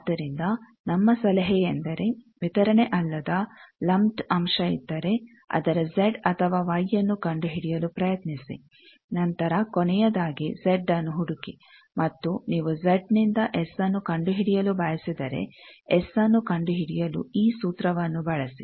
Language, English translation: Kannada, So, our advice is if a lumped element is there not a distributed 1 try to find its Z or Y whichever is convenient then finally, find Z and if you want to find S from Z, use this formula to find S